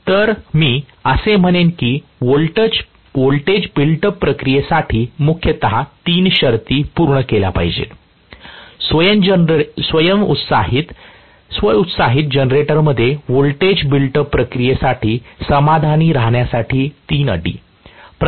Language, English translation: Marathi, So, I would say for the voltage build up process mainly three conditions need to be satisfied, three conditions to be satisfied for the voltage build up process in a self excited generator